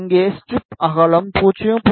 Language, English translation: Tamil, Here the strip width is 0